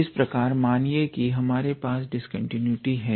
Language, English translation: Hindi, Similarly let us say if we have a discontinuity